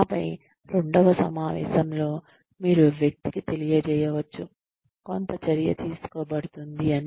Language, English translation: Telugu, And then, maybe in a second meeting, you can inform the person, that some action will be taken